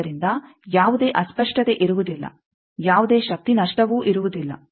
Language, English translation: Kannada, So, no distortion will be there no power lost will be there